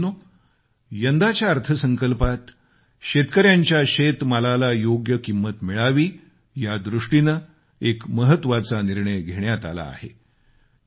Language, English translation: Marathi, Brothers and sisters, in this year's budget a big decision has been taken to ensure that farmers get a fair price for their produce